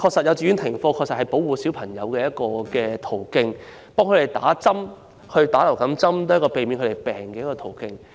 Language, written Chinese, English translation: Cantonese, 幼稚園停課是保護小朋友的一個途徑，讓他們接種流感疫苗，也是避免他們生病的一個途徑。, The suspension of classes in kindergartens is a way to protect children and influenza vaccination also a way to prevent them from getting sick